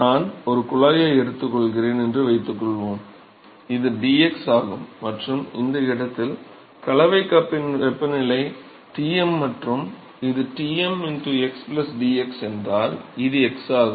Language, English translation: Tamil, So, suppose I take a tube, this is dx and if the mixing cup temperature at that location is Tm, and this is Tm x+dx, this is x, Ok